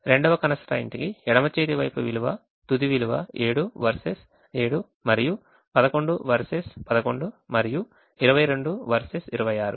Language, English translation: Telugu, the second constraint, the left hand side value, final value is seven versus seven and eleven versus eleven and twenty two versus twenty six